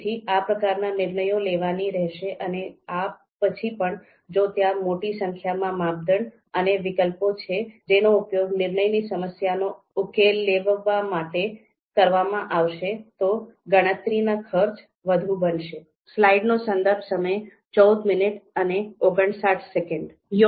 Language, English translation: Gujarati, So those kind of decisions are to be made and even after that if there are many number of you know a number of criteria a large number of criteria and alternatives are going to be used in to solve decision problem, then the computing cost is going to be on the higher side